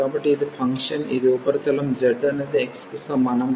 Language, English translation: Telugu, So, this is the function this is a surface z is equal to x